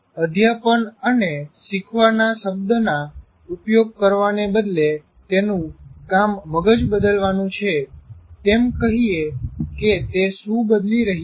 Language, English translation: Gujarati, Instead of using the word teaching and learning, say his job is to change the brain